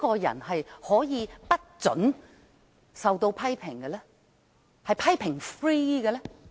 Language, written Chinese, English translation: Cantonese, 誰可以不准別人批評，是"批評 -free" 的呢？, Is there anyone who must not be criticized or who is criticism - free?